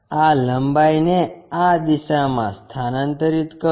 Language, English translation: Gujarati, Transfer this length in this direction